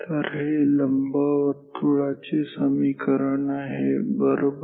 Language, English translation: Marathi, So, this is the equation of an ellipse right ok